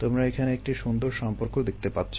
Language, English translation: Bengali, you see a very nice relationship